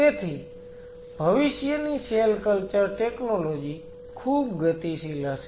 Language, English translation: Gujarati, So, future cell culture technology will be very dynamic